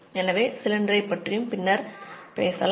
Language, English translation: Tamil, So, we can talk about the cylinder later